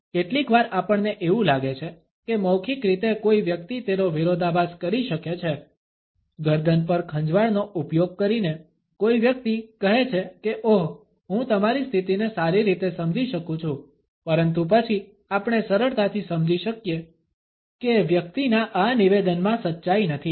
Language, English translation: Gujarati, Sometimes we find that verbally a person may contradict it, a person may say oh, I understand very well your situation, using the neck scratch, but then we can easily understand that the person is not truthful in this statement